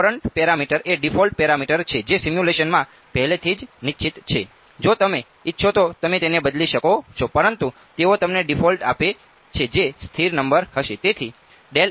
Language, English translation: Gujarati, The Courant parameter is a default parameter that is already fixed in the simulation you can change it if you want, but the they give you a default which will be a stable number